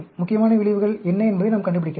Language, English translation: Tamil, We can find out what are the main effects that are important